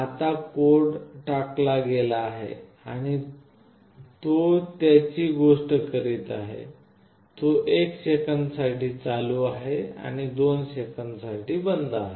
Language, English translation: Marathi, Now the code is dumped and it is also doing the same thing, it is on for 1 second and it is off for 2 seconds